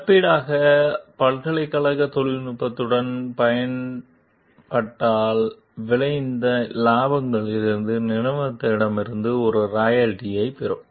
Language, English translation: Tamil, As compensation, the university will also receive a royalty from the company from the profits resulting from the use of the technology